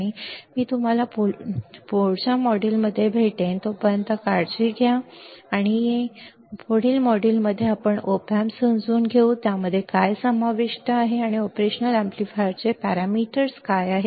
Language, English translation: Marathi, And I will see you I will see you in the next module, I will see you in the next module, where we will understand the op amps further that what they what they consist of and what are the parameters of the operational amplifier all right